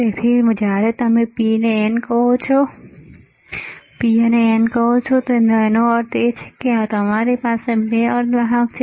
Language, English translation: Gujarati, So, when you say P and N, that means, that you have two semiconductors